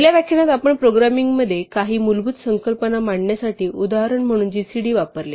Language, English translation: Marathi, In the first lecture we used gcd as an example to introduce some basic concepts in programming